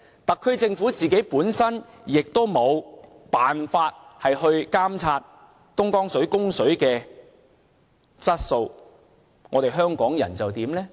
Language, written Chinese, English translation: Cantonese, 特區政府也無法監察東江水的供水質素，香港人又怎樣呢？, The SAR Government is also unable to monitor the water quality of the Dongjiang water supply . What can Hong Kong people do?